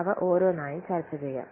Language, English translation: Malayalam, Let's discuss one by one